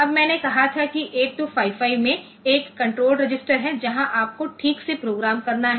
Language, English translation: Hindi, Now I have set that 8255 has a control register where you have to programme properly